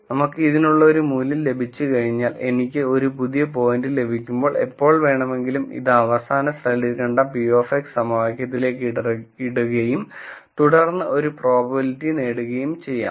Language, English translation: Malayalam, Once we have a value for this, any time I get a new point I simply put it into the p of x equation that we saw in the last slide and then get a probability